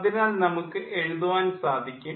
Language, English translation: Malayalam, so we can write